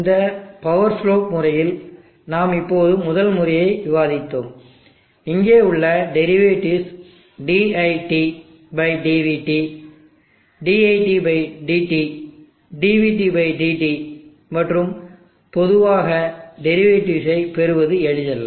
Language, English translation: Tamil, In the power slope method 1that we discussed there are derivatives dit/dvt, dit/dtr, dvt/dt, and it is generally not easy to obtain derivatives